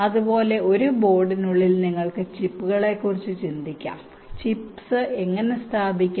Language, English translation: Malayalam, similarly, within a board you can think of the chips, how to place the chips